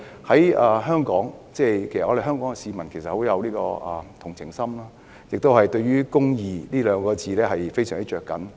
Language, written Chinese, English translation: Cantonese, 香港市民其實甚富同情心，對"公義"這兩個字亦非常着緊。, The people of Hong Kong are actually quite sympathetic . They also care much about the word justice